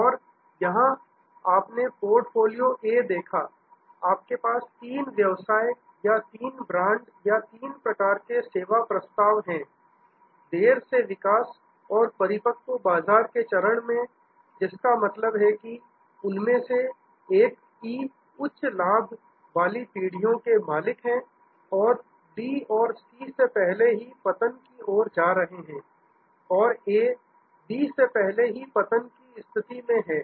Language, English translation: Hindi, And here you seen portfolio A, you have three business or three brands or three types of service offerings, in the late growth and mature market stage, which means one of them E is at a high profit generations own and the D and C are kind of a approaching decline and A, B are already in the decline mode